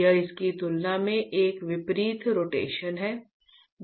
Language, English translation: Hindi, This is a opposite rotation compared to this one